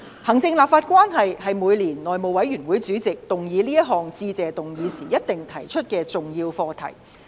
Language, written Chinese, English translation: Cantonese, 行政立法關係是每年內務委員會主席動議這項致謝議案時必定提及的重要課題。, The relationship between the executive and the legislature is an important subject which the Chairman of the House Committee will definitely raise when moving the Motion of Thanks every year